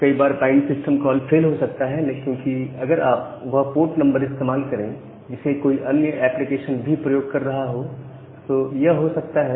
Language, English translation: Hindi, So, the bind system call may fail sometime because, if you are going to use the same port number which is being used by another application, there are other reasons where a bind call may fail